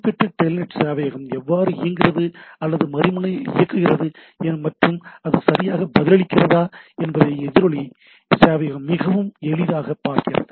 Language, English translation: Tamil, So, echo server is very handy to see that how whether that particular telnet server is running or not at the other end and whether it is responding properly